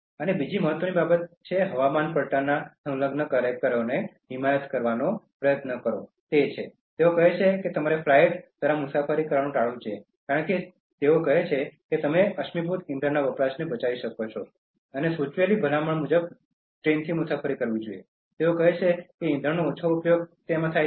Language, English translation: Gujarati, And the other important thing that climate change activists try to advocate is that, they say that you should avoid travel by flight, because they say that you can prevent enormous fossil fuel consumption and the suggested, recommended travel mode is train, they say that it uses less and if possible